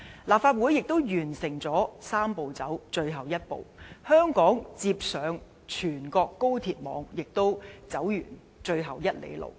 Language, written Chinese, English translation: Cantonese, 立法會亦完成"三步走"的最後一步，香港接上全國高鐵網，亦走完最後一里路。, Also the Legislative Council will finish the last step of the Three - step Process and Hong Kong will also finish walking the last mile before its linkage with the national high - speed rail network